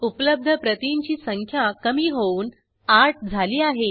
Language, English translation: Marathi, We can see that the number of Available Copies reduces to 8